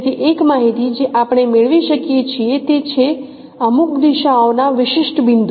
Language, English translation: Gujarati, So, one of the information that we can get is the vanishing points of certain directions